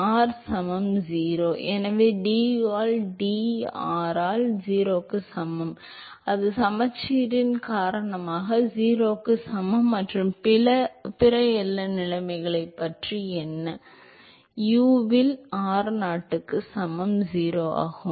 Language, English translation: Tamil, R equal to 0, so du by dr at r equal to 0, that is equal to the 0 because of the symmetry and what about the other boundary conditions, u at r equal to r0 is 0